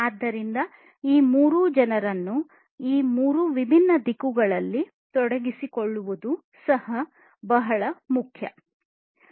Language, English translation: Kannada, So, engaging all these peoples in these three different directions is also very important